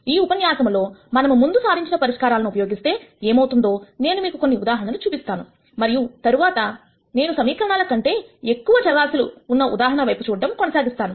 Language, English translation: Telugu, In this lecture I am going to give you some examples for that case show you what happens when we apply the solution that we derived last time, and then after that I will go on to look at the case of more variables than equations